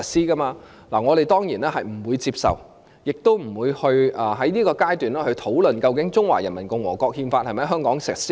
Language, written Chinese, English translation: Cantonese, 對此，我們當然不會接受，亦不會在現階段討論，究竟《憲法》是否在香港全面實施？, Of course we do not accept this and we will not discuss this issue at the present stage as to whether the Constitution should be fully implemented in Hong Kong